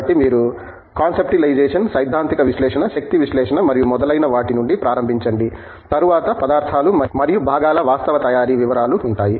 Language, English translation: Telugu, So, you start from conceptualization, theoretical analysis, energy waste analysis and so on, followed by materials and followed by actual manufacturing details of the components